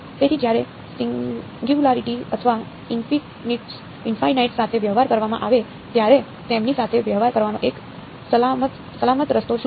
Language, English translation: Gujarati, So, when dealing with singularities or infinities what is the one safe way of dealing with them